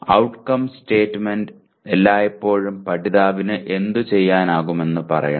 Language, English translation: Malayalam, The outcome statement should always say what the learner should be able to do